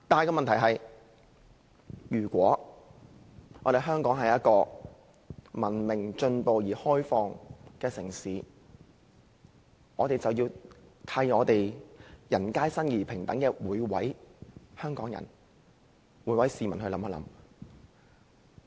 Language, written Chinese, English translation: Cantonese, 然而，如果香港是一個文明、進步而開放的城市，我們便要為人皆生而平等的每位香港人，每位市民設想。, No he surely does not . However if Hong Kong is a civilized advanced and open city we should address the concerns of every citizen and every Hongkonger who is born equal